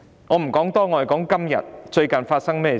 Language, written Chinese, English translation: Cantonese, 我說說最近發生的事。, Let me tell you what has happened recently